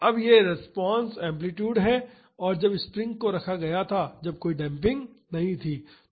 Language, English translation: Hindi, Now this is the response amplitude when the springs were kept that is when there was no damping